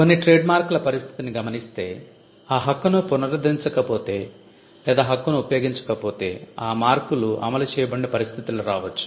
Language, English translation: Telugu, Some of the trademarks can be situations where if the right is not renewed or if the right is not used then that marks cannot be enforced